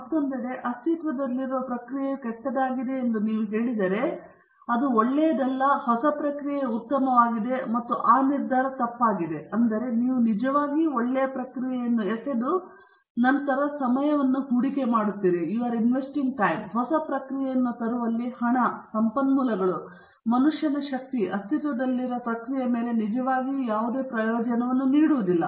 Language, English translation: Kannada, On the other hand, if you say that the existing process is bad, it’s not good and the new process is better, and that decision is wrong, that means, you are throwing away an actually good process, and then investing lot of time, money, resources, and man power in bringing up a new process, which does not really give any great benefit over the existing process